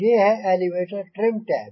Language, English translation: Hindi, this is the elevator trim tab